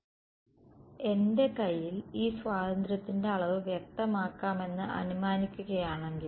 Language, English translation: Malayalam, So, supposing I specify this degree of freedom was there in my hand right